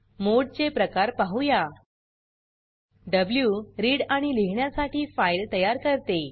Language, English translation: Marathi, Let us see the types of modes: w creates file for read and write